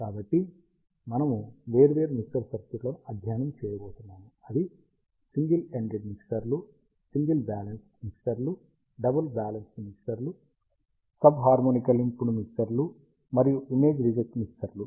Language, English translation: Telugu, So, we are going to study ah different mixer circuits, which are single ended mixtures, single balanced mixers, double balanced mixers, sub harmonically pumped mixers, and image reject mixers